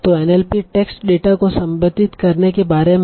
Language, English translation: Hindi, So NLP is all about processing text data